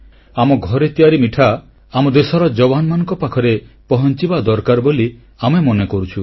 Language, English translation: Odia, We also feel that our homemade sweets must reach our country's soldiers